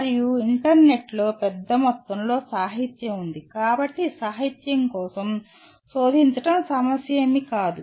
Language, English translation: Telugu, And there is a huge amount of literature on the internet, so searching for literature is not an issue